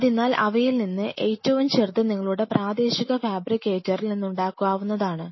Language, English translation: Malayalam, So, the smallest of all these you can even get them fabricated by your local fabricator, which I have done on several occasions